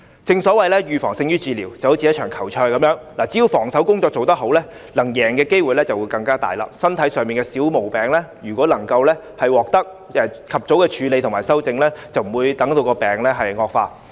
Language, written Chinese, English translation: Cantonese, 正所謂預防勝於治療，正如一場球賽，只要防守工作做得好，勝出的機會便會增加，身體上的小毛病如果能夠及早處理和修正，病情便不會惡化。, Prevention is better than cure . Like a football match the team with better defence will have a higher chance of winning . Likewise a minor ailment if handled and treated early will not become worse